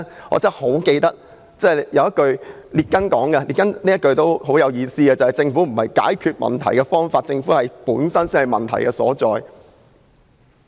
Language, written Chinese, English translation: Cantonese, "我記得列根說過一句很有意思的話："政府並不是解決問題的方法，政府本身才是問題所在。, I remember that President Ronald REAGAN once said these meaningful words government is not the solution to our problem government IS the problem